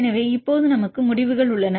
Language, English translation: Tamil, So, now, we have the results